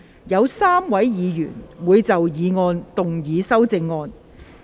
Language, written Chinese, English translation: Cantonese, 有3位議員會就議案動議修正案。, Three Members will move amendments to the motion